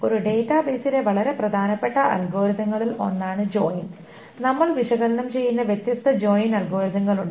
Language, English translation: Malayalam, Join is one of the very important algorithms in a database and there are different join algorithms that we will analyze